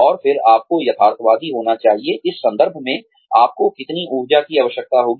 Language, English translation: Hindi, And then, you need to be realistic, in terms of, how much energy, you will need